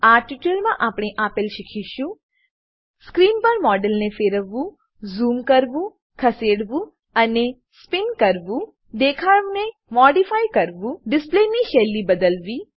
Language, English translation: Gujarati, In this tutorial, we will learn to Rotate, zoom, move and spin the model on screen Modify the view Change the style of the display